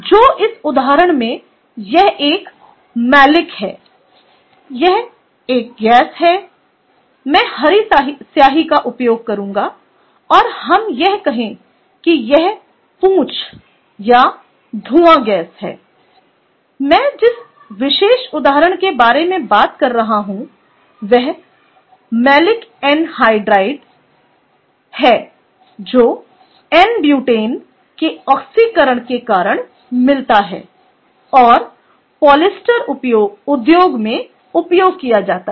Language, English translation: Hindi, i will i will let let me call it you, let me use the green ink and say: this is the tail or fume gas, ok, the particular example i am talking about is something called malic anhydride, ok, which comes because of oxidation of n butane and is used in polyester industry, clear